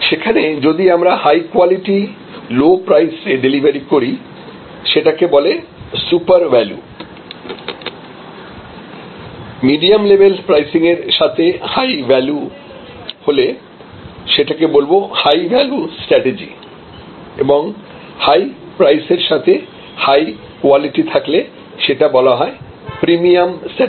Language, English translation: Bengali, Then; obviously, if the, at high qualities delivered at low price that we can call the supper values strategy, a medium level pricing with high qualities, high value strategy and high price with high quality could be the premium strategy